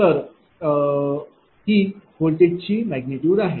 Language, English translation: Marathi, So, voltage magnitude cannot be negative